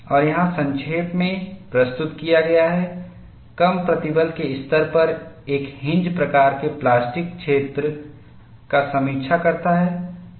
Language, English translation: Hindi, And what is summarized here is, at low stress levels one observes a hinge type plastic zone